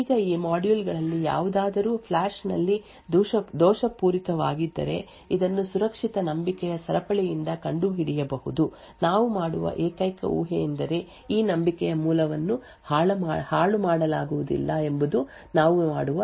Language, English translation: Kannada, Now if any of this modules are tampered with in the flash this can be detected by the secure chain of trust the only assumption that we make is that this root of trust cannot be tampered with that is the only assumption that we make